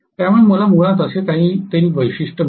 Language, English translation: Marathi, So, I am going to get essentially a characteristic somewhat like this